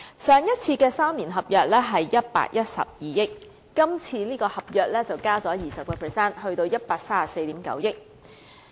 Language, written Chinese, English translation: Cantonese, 上一次3年合約的水價是112億元，今次這份合約則加價 20%， 達到 134.9 億元。, The three - year contract price of water supply was 11.2 billion last time whilst the current contract has increased by 20 % reaching 13.49 billion